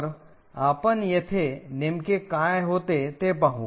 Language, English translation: Marathi, So, we will go into what exactly happens over here